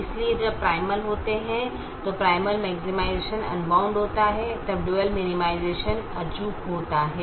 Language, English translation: Hindi, so when the primal is unbounded, primal maximization is unbounded, then the dual minimization is infeasible